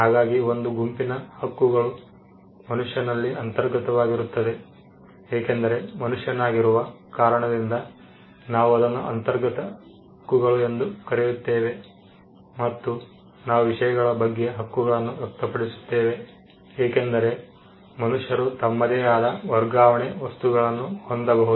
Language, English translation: Kannada, So, we have a set of rights that manifest in a human being because of his character of being a human being those who are what we call inherent rights and we also have rights that express on things because human beings can possess own transfer things